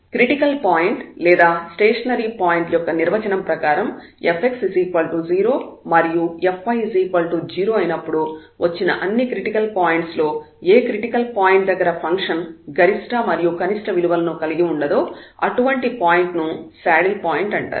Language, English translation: Telugu, So, that is the definition of the critical point or the stationary point, and a critical point so among these all the critical points where f x is 0 and f y is 0 where the functions a critical point where the function has no minimum and maximum is called a saddle point